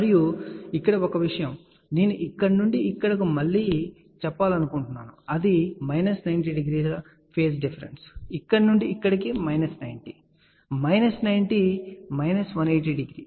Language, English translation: Telugu, And here one thing I want to emphasize again from here to here it is minus 90 degree phase difference, from here to here minus 90, minus 90 minus, 180 degree